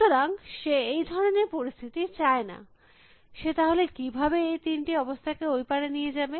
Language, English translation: Bengali, So, he does not want that situation, how can he get these three positions across on the other side